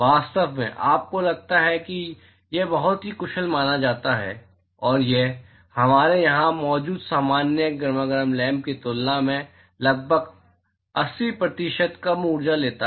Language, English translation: Hindi, In fact, you suppose to have it is suppose to be very efficient and it takes about 80% lesser energy than the normal incandescent lamp that we have here